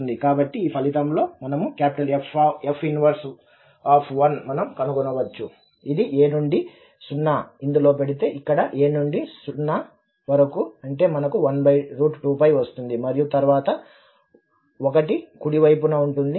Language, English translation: Telugu, So, with this result we can also deduce that F inverse of 1 will be, so if we put this a to 0, so here a to 0 that means we have 1 over square root 2 pi and then 1, the right hand side